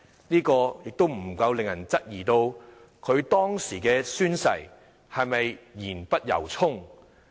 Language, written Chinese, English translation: Cantonese, 這不禁令人質疑，他當時的宣誓是不是言不由衷？, One cannot help but question whether or not he was sincere when he took the oath